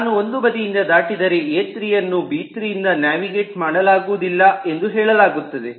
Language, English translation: Kannada, if i cross out on one end, then it says that a3 is not navigable from b3